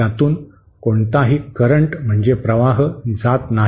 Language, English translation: Marathi, There is no current passing through it